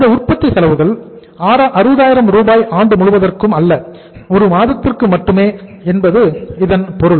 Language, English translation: Tamil, It means this expense, manufacturing expenses, this figure 60,000 is not only not for the whole of the year but only for the 1 month